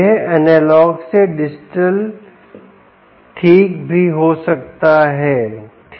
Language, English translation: Hindi, it can also be analog to digital